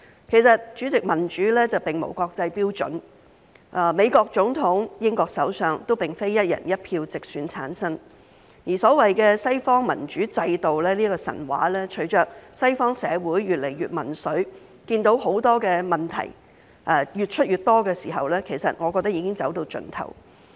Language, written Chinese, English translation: Cantonese, 其實，主席，民主並無國際標準，美國總統和英國首相都不是"一人一票"直選產生，而所謂的西方民主制度的神話隨着西方社會越來越民粹，看到問題越來越多的時候，其實我覺得已經走到盡頭。, In fact President there is no international standard for democracy . Neither the President of the United States nor the Prime Minister of the United Kingdom is directly elected by one person one vote and the myth of the so - called Western democratic institutions has I believe come to an end as Western societies become more and more populist and see more and more problems